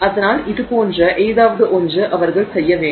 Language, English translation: Tamil, So, something like that they would have to do